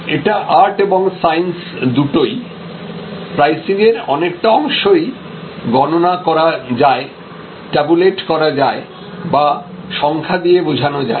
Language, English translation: Bengali, It is art and science, because a good part of the pricing consideration can be calculated, tabulated, figured out quantitatively